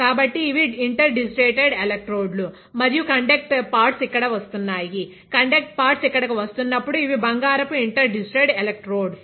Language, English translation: Telugu, So, those are interdigitated electrodes and the conduct pads are coming here; these are gold interdigitated electrodes when the conduct pads are coming here ok